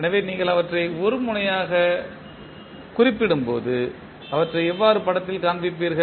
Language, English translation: Tamil, So, when you represent them as a node how you will show them in the figure